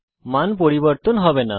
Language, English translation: Bengali, The value wont change